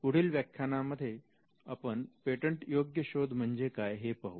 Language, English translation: Marathi, In the next lecture we will see what is a patentability search